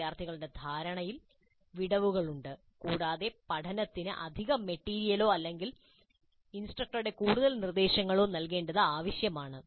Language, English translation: Malayalam, There are gaps in the students' understanding and it may be necessary to supplement the learning with additional material or further instruction by the instructor